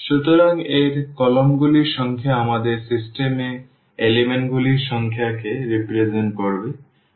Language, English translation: Bengali, So, the number of the columns in this a will represent the number of elements in our system